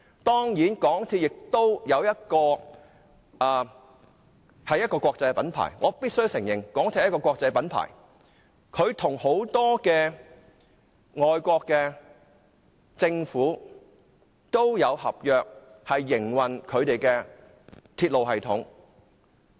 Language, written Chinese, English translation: Cantonese, 當然，港鐵公司亦是一個國際品牌，我必須承認它是一個國際品牌，與很多外國政府也簽訂合約營運他們的鐵路系統。, Certainly MTRCL is also an international brand which I must admit as it has signed contracts with many overseas governments in operating their railway systems